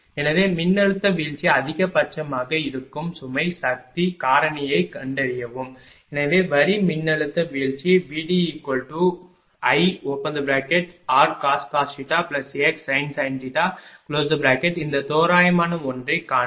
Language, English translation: Tamil, So, ah find the load power factor for which the voltage drop is maximum right so the line voltage drop V d is equal to just now we have seen voltage drop will be I r cos theta plus x sin theta this approximate one